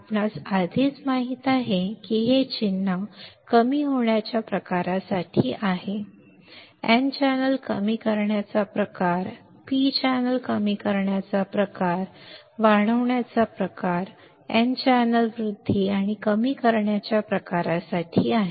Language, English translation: Marathi, You already know this symbol is for the depletion type, n channel depletion type, p channel depletion type enhancement type, n channel enhancement and depletion type